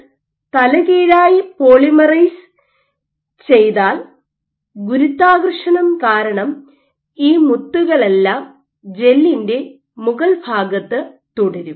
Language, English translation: Malayalam, So, if you polymerize the gel upside down then because of gravity all these beads will remain at the top surface of the gel